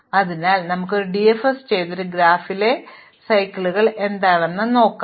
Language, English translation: Malayalam, So, let us do a DFS and see what this can tells us about cycles in this graph